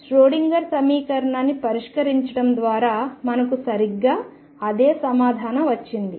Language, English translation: Telugu, Precisely the same answer as we got by solving Schrödinger equation